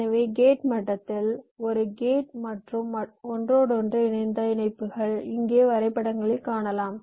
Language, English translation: Tamil, so at the gate level i have a set of gates and the interconnection as i have shown in the diagrams here